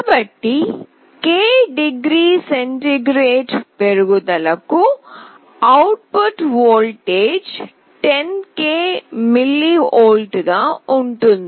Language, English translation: Telugu, So, for k degree centigrade rise, the output voltage will be 10k mV